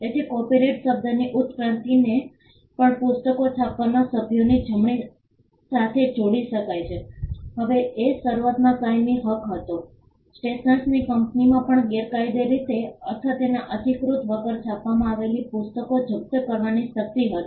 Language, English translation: Gujarati, So, the evolution of the word copyright also can be tied to the right of the members to print books and it was initially a perpetual right the stationer’s company also had the power to confiscate books that were illegally or printed without their authorisation